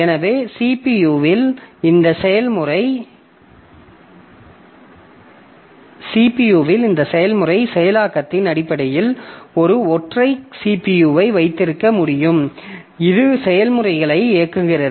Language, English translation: Tamil, So, in terms of this process execution by the CPU, so I can have a single CPU which is executing the processes